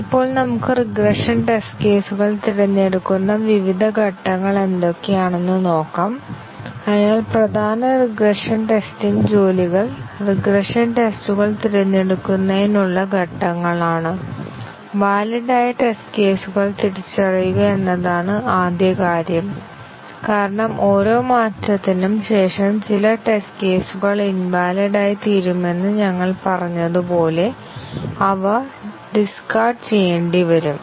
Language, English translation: Malayalam, Now, let us see, what are the different steps through which we select the regression test cases, so the major regression testing tasks are the steps in selecting the regression tests; the first thing is to identify the valid test cases because as we said that after every change some test cases become invalid, they need to be discarded